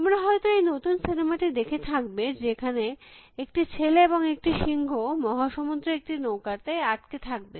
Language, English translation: Bengali, You must have seen this recent movie, which these some boy and lion in a boat together stuck for across the ocean